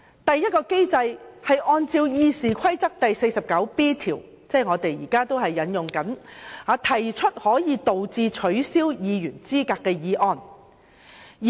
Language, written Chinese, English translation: Cantonese, 第一個機制是按照《議事規則》第 49B 條，即我們現正引用的規則，動議可以導致取消議員資格的議案。, The first mechanism is the moving of a motion which may result in the disqualification of a Member from office under RoP 49B which is the rule under which this motion was moved